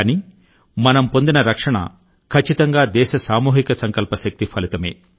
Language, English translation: Telugu, But whatever we have been able to save is a result of the collective resolve of the country